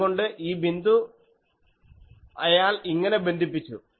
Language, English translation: Malayalam, So, this point he has connected like this